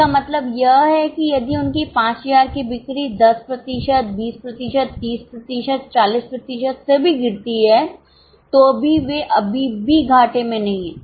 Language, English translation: Hindi, What it means is suppose their sale of 5,000 starts calling, let us say by 10%, 20%, 30%, 40%, they are still not in losses